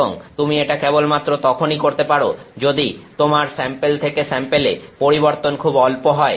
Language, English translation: Bengali, And, that you can do only if your sample to sample variation is very tiny